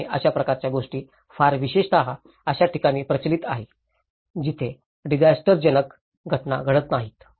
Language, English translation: Marathi, And these kinds of things are very especially, prevalent in the localities where there are infrequent disaster events